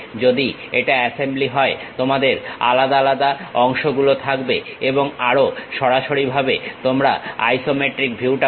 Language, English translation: Bengali, If it is assembly you will have individual parts and also the isometric view you will straight away get it